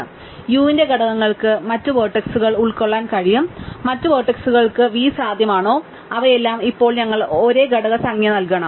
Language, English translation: Malayalam, So, components of u could contain other vertices component of v could other vertices and all of them must now we given the same component number